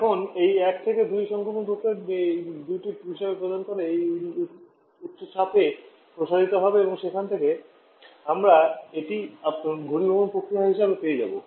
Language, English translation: Bengali, Now, this 1 to 2 prime the condensation process sorry the compression process to be extended to this elevated pressure giving reasons 2 prime and then from there will be getting this as your condensation process